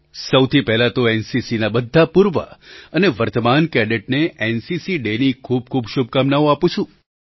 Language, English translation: Gujarati, At the outset on the occasion of NCC, Day, I extend my best wishes to all NCC Cadets, both former & present